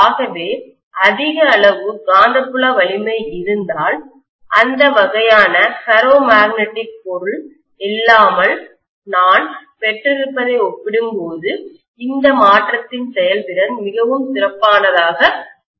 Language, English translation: Tamil, So if I have a large amount of magnetic field strength, the efficiency of this conversion would be far better as compared to what I would have gotten without that kind of a ferromagnetic material